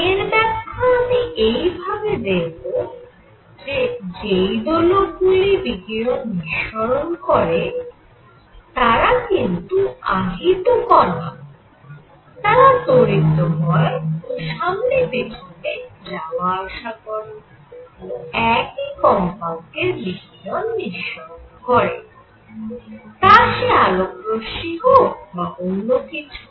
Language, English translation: Bengali, Now, let me explain that oscillators that radiate are charged particles and as they accelerate and go back and forth, they start giving out radiation of the same frequency and radiation of course, as light or whatever